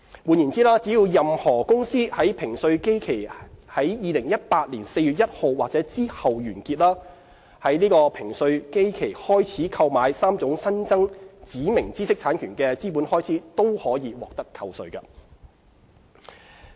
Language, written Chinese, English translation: Cantonese, 換言之，只要任何公司的評稅基期在2018年4月1日或之後完結，在這評稅基期開始購買3種新增指明知識產權的資本開支均可獲得扣稅。, In other words for companies which basis period ends on or after 1 April 2018 capital expenditure incurred for the purchase of the three additional categories of specified IPRs after the beginning of this basis period will be profits tax deductible